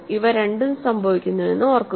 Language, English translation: Malayalam, Remember these both happen